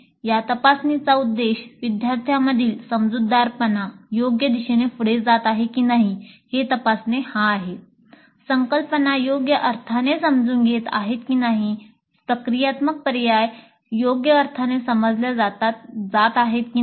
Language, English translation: Marathi, The purpose of this probing is to check whether the understanding of the students is proceeding in the proper directions, whether the concepts are being understood in the proper sense, whether the procedural steps are being understood in the proper sense